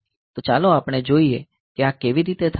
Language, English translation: Gujarati, So, let us see how this thing happens